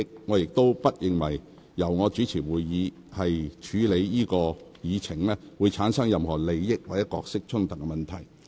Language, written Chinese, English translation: Cantonese, 我亦不認為由我主持會議處理這議程項目，會產生任何利益或角色衝突問題。, I therefore do not think that my chairing of this agenda item will give rise to any conflict of interest or roles